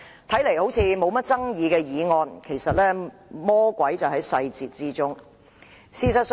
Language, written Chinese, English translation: Cantonese, 這項看似不具爭議的議案，其實魔鬼就在細節之中。, This motion appears to be uncontroversial but in fact the devil is in the details